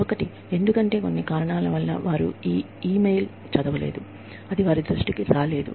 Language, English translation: Telugu, One, because, they have not read the e mail, for some reason, it has missed their attention